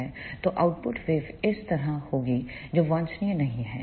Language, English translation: Hindi, So, the output waveform will be like this which is not desirable